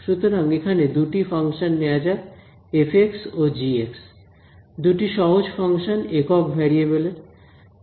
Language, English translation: Bengali, So, let us take two functions over here f of x and g of x; two simple functions of one variable ok